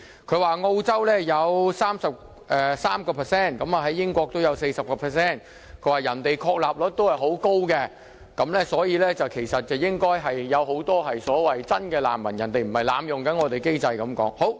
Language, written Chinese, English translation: Cantonese, 他更說澳洲有 33%， 英國有 40%， 別人的確立率很高，所以，社會裏應該有很多真難民，他們不是濫用我們的機制。, Pointing out the substantiation rate in other countries in which the rate in Australia is 33 % while the rate in the United Kingdom is 40 % he then considered it true that there are many genuine refugees in the community and that they are not abusing our system